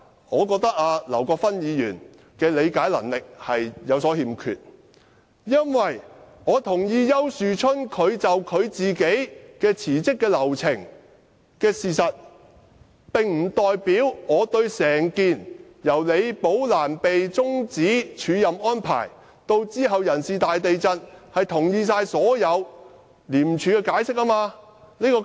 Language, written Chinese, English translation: Cantonese, 我覺得劉議員的理解能力有所欠缺，因為我同意丘樹春的辭職流程這個事實，並不代表我也同意廉署終止李寶蘭署任安排及其後的人事"大地震"作出的所有解釋。, I think Mr LAUs comprehension power is weak . While I agree with the facts concerning Mr YAUs resignations this does not mean that I also accept given the explanation given by ICAC for cancelling the acting appointment of Rebecca LI and the subsequent radical staffing shake - up